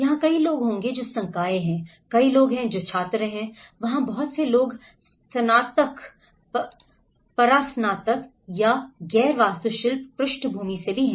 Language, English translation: Hindi, Whether there will be many people who are faculty, there are many people who are students, there are many people from bachelors, masters or from non architectural backgrounds as well